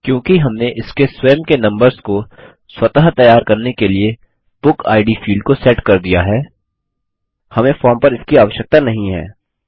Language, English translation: Hindi, Since we have set up BookId field to autogenerate its own numbers, we dont need it on the form So let us move this field back to the left hand side